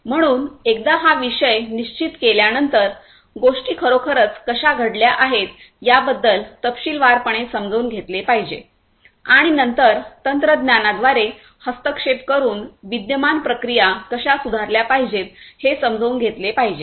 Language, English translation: Marathi, So, once we have fix the subject, we need to really understand how understand in detail how the things are already taken place and then through the technological intervention how the existing processes can be improved